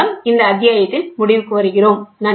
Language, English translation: Tamil, With this we come to an end to this chapter